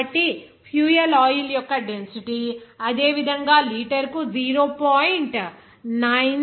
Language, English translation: Telugu, So, the density of the fuel oil will be similarly 0